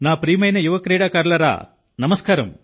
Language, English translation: Telugu, Namaskar my dear young players